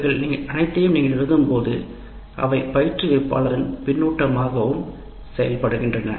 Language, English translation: Tamil, When you write all this, this feedback also acts as a feedback to the instructor